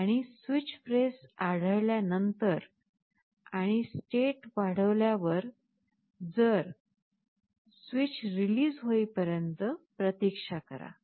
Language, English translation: Marathi, And after this switch press is detected and you have incremented state, you wait till the switch is released